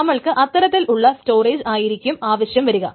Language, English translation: Malayalam, So you will require that kind of storage